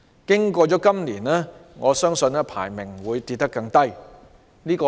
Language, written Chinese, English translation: Cantonese, 經過了今年，我相信排名會跌得更低"。, I believe our ranking after this year will fall even harder